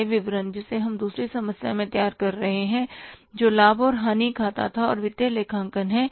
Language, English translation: Hindi, The income statement which we prepared in the second second problem that was the profit and loss account and that was a part of the financial accounting